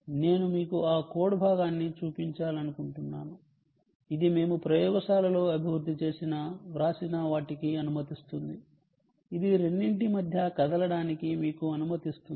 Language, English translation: Telugu, i just want to show you that piece of code which will allow us to ah, which we have written, developed in the lab, which will allow you to move between the two